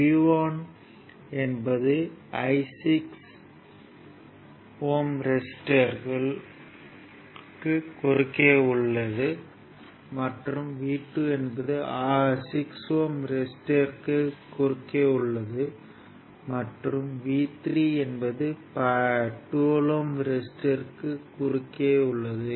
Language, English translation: Tamil, V 1 is voltage across 16 ohm resistance , ah v 2 is across say 6 ohm, and v 3 is across 12 ohm resister, right